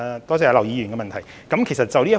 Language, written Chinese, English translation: Cantonese, 多謝劉議員的補充質詢。, I thank Mr LAU for his supplementary question